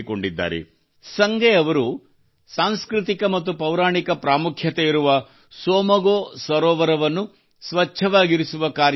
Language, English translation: Kannada, Sange ji has taken up the task of keeping clean the Tsomgo Somgo lake that is of cultural and mythological importance